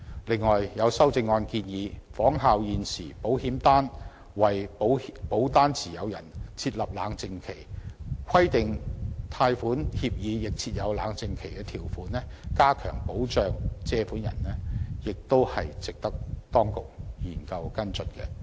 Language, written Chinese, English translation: Cantonese, 此外，有修正案建議仿效現時保險業為保單持有人設立冷靜期，規定貸款協議亦須設有冷靜期條款，加強保障借款人，也是值得當局研究和跟進的。, Furthermore it is proposed in one of the amendments that like the cooling - off period currently provided by the insurance industry for policy holders cooling - off period provisions should also be made in loan agreements for enhanced protection for borrowers . This proposal is also worth study and follow - up